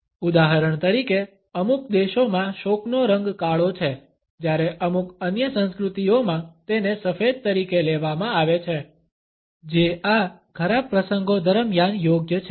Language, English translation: Gujarati, For example in certain countries black is the color of mourning whereas, in certain other cultures it is considered to be the white which is appropriate during these unfortunate occasions